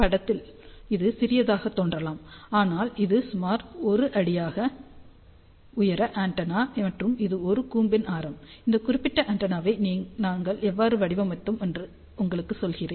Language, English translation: Tamil, So, in the picture, it may look small, but this is about 1 foot height antenna and that is the radius of the cone, but just to tell you how we designed this particular antenna